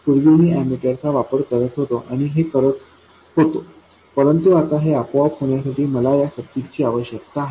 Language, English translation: Marathi, Earlier I was looking at the ammeter and doing this, but now I need the circuit to automatically do this